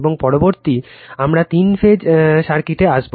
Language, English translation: Bengali, And next, we will come to the three phase circuit